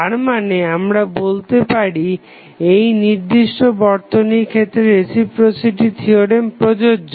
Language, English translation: Bengali, So, that means that we can say that the reciprocity theorem is justified in this particular circuit